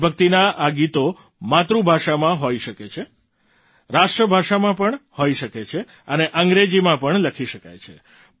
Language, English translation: Gujarati, These patriotic songs can be in the mother tongue, can be in national language, and can be written in English too